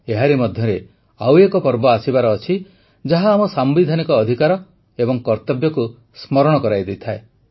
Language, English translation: Odia, Meanwhile, another festival is arriving which reminds us of our constitutional rights and duties